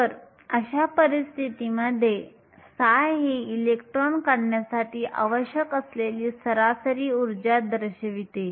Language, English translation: Marathi, So, in such a case, psi represents the average energy that is required to remove an electron